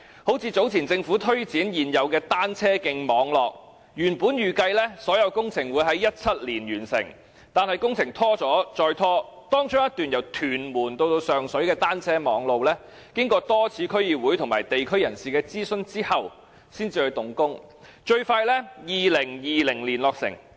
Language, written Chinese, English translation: Cantonese, 例如，早前政府宣布擴大現有的單車徑網絡，原本預計所有工程會在2017年完成，但工程一拖再拖，當中一段由屯門至上水的單車徑，經過多次區議會及地區人士的諮詢後才動工，最快於2020年落成。, For example the Government has earlier announced the expansion of the existing cycle track networks . The works are expected to be completed in 2017 but have been delayed over and over again . The works for a section of the track from Tuen Mun to Sheung Shui only commenced after repeated consultations with the District Council and members of the local community and will be completed in 2020 the earliest